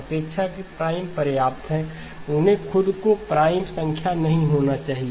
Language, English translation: Hindi, Relatively prime is enough; they do not have to be prime numbers themselves okay